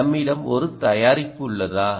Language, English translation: Tamil, do we have a product